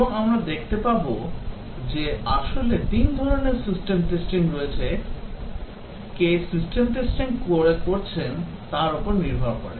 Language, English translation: Bengali, And also we'll see that there are actually three types of system testing depending on who does the system testing